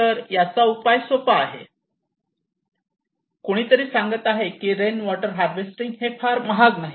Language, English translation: Marathi, Now what to do with this is the simple solution somebody is saying that rainwater harvesting is not that expensive